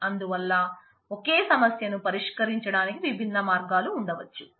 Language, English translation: Telugu, So, there could be different other ways of solving the same problem